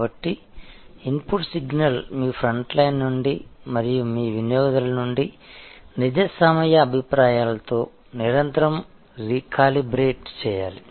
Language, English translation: Telugu, So, the input signal therefore continuously must be recalibrated with real time feedback from your front line and from your customers